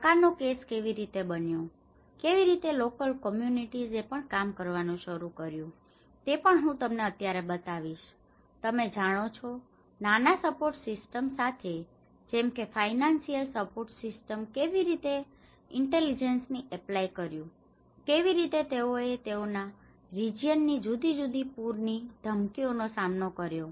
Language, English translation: Gujarati, I will also show you now, how a case of Dhaka and how this has been; how local communities have also started working on you know, with small, small support systems like a financial support system, how they intelligently applied, how they started coping with different threats of the floods in their region